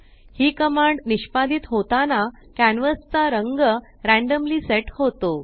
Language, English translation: Marathi, The canvas color is randomly set when this command is executed